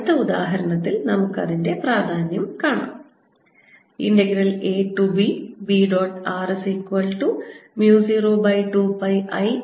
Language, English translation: Malayalam, in next example we show the importance of that